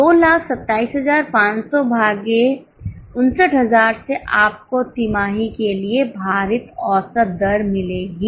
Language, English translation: Hindi, Getting it 227 500 upon 59,000 you will get the weighted average rate for the quarter